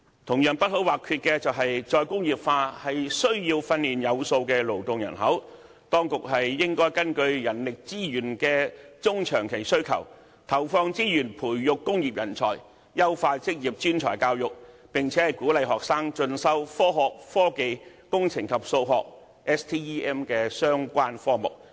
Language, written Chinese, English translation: Cantonese, 同樣不可或缺的是，"再工業化"需要訓練有素的勞動人口，當局應根據人力資源的中長期需求，投放資源，培育工業人才，優化職業專才教育，並且鼓勵學生進修科學、科技、工程及數學的相關科目。, A well - trained workforce is also essential to re - industrialization . The authorities should allocate resources according to the medium to long - term demand for human resources to nurture industrial talent enhance vocational and professional education and encourage students to enrol in Science Technology Engineering and Mathematics STEM education and related studies